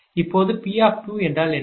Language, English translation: Tamil, now, what is p two